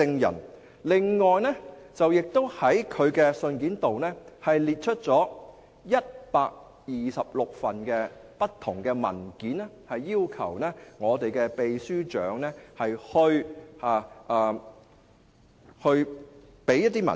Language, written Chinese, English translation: Cantonese, 此外，他亦在信中列出126份不同的文件，要求秘書長提供這些文件。, Moreover in the letter he also listed 126 different documents and requested the Secretary General to provide these documents